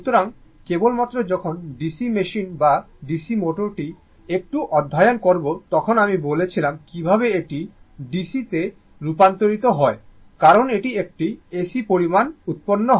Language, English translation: Bengali, So, only when you will study DC machine or DC motor little bit at that I told you similar philosophy I tell you how it is converted to DC because is a AC quantity is generated right